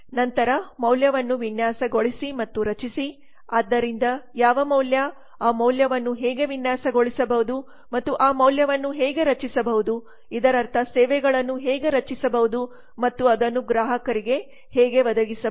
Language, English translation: Kannada, then design and create value so what value how can that value be designed and how that value can be created that means how can the services be created and how they can be provide it to customers